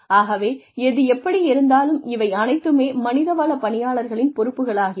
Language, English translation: Tamil, So anyway, all of these things are again, these are the responsibilities of the human resources personnel